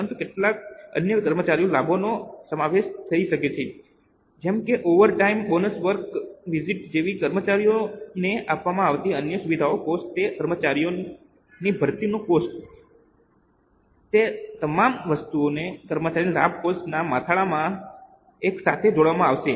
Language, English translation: Gujarati, So, in simple terms, you say it's a salary expense but it may include some other employee benefits like overtime, like bonuses, like perquisites, like the cost of any other facilities given to employees, the cost of recruitment of those employees, all that items would be clubbed together in the heading employee benefit expense